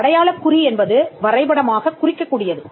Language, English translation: Tamil, It means a mark capable of being represented graphically